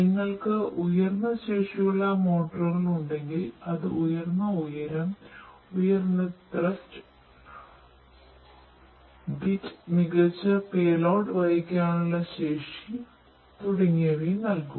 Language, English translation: Malayalam, So, if you have higher capacity motors that will give you know higher you know altitude, the higher thrust, you know bit better payload carrying capacity and so on